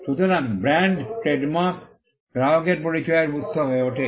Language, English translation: Bengali, So, the brand, the trade mark becomes a source of identity for the customer